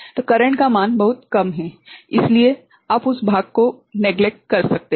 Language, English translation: Hindi, So, the current is very small, so, you can neglect that part right